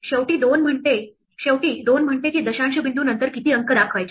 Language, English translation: Marathi, Finally, the 2 says how many digits to show after the decimal point